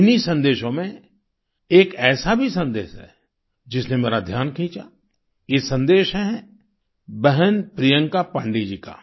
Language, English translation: Hindi, One amongst these messages caught my attention this is from sister Priyanka Pandey ji